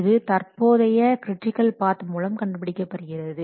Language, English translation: Tamil, It is determined by the current critical path